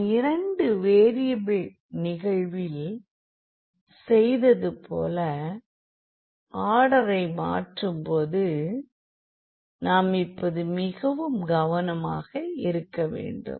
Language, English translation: Tamil, And we have to be very careful now, once we change the order similar to what we have done in case of 2 variables